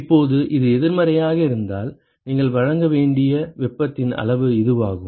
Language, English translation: Tamil, Now supposing if it is negative then that is the amount of heat that you have to supply